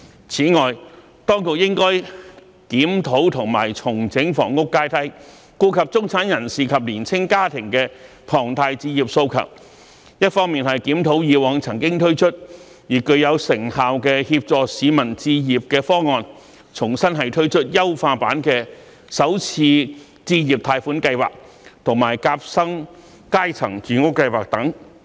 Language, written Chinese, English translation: Cantonese, 此外，當局應該檢討及重整房屋階梯，顧及中產人士及年青家庭的龐大置業訴求，一方面檢討以往曾經推出而具有成效的協助市民置業的方案，重新推出優化版的首次置業貸款計劃及夾心階層住屋計劃等。, In addition the authorities should review and rationalize the housing ladder so as to cater for the strong aspirations for home ownership of the middle class and young families . On the one hand the authorities should review home ownership schemes previously launched which were effective in helping people acquire their own homes and re - launch the enhanced Home Starter Loan Scheme and Sandwich Class Housing Scheme etc